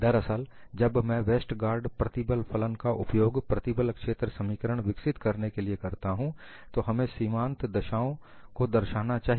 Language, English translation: Hindi, In fact, when I develop the stress field equations using Westergaard’s stress function, we would specify boundary conditions